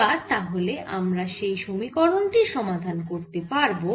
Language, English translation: Bengali, now we can solve this equation